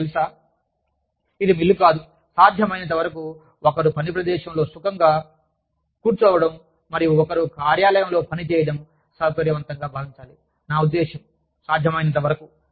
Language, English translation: Telugu, You know, it is not a mill, where are, as far as possible, one should feel comfortable, sitting and working at, one's workplace, as far as, i mean, to the extent possible